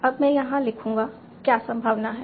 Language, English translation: Hindi, Now I will write down here what is the probability